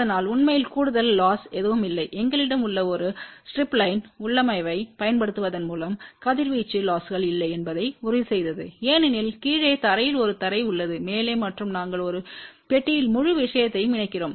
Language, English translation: Tamil, So, there is actually speaking no additional loss and by using a strip line configuration we have also ensured that there are no radiation losses , because there is a ground at the bottom ground at the top and we also enclose the whole thing in a box ok